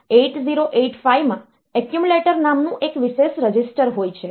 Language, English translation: Gujarati, There is a special register called accumulator in 8085